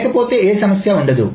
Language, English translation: Telugu, Otherwise, is no problem